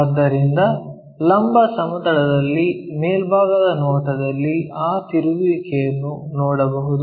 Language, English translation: Kannada, So, that in the vertical plane, ah top view we can see that rotation